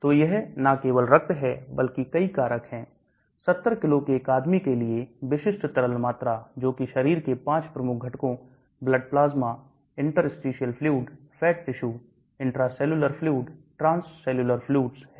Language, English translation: Hindi, So it is not only the blood but many factors, typical liquid volume for a man of 70 kg, that is in percentages 5 major body components, the blood plasma, interstitial fluids, fat tissues, intracellular fluids, transcellular fluids